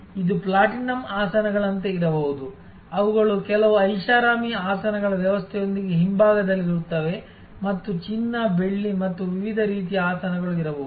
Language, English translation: Kannada, So, it could be like the platinum seats, which are right at the back with some luxury seating arrangement and there could be gold, silver and that sort of different types of seats